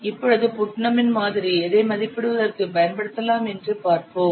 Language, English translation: Tamil, Now let's see Putnam's model can be used to estimate what